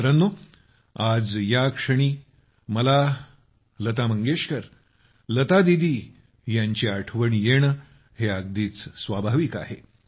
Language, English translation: Marathi, Friends, today on this occasion it is very natural for me to remember Lata Mangeshkar ji, Lata Didi